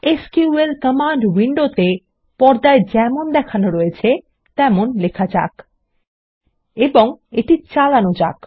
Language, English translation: Bengali, In the SQL command window, let us type as shown in the screen: And execute it